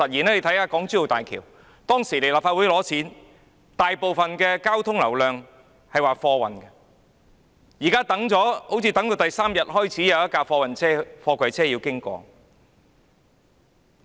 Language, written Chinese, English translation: Cantonese, 政府就港珠澳大橋向立法會申請撥款時指出，大部分交通流量是貨運，但通車第三天才有一輛貨櫃車經過。, When the Government applied to the Legislative Council for funding to construct HZMB it stated that freight transport would take up the largest proportion . Nevertheless only one container truck passed HZMB on the third day upon its commissioning